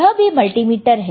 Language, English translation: Hindi, This is also a multimeter all right